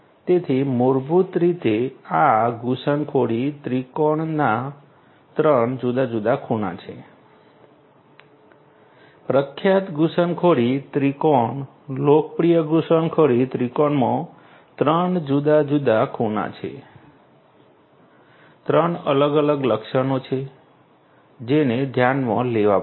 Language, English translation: Gujarati, So, this is basically the three different corners of the intrusion triangle the famous intrusion triangle the popular intrusion triangle has three different corners, three different you know features that will have to be taken into account